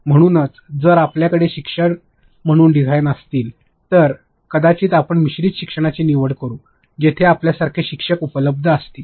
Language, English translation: Marathi, So, if you are having a designer as a teacher maybe you can opt for blended learning, where your teacher like I said if your facilitator is present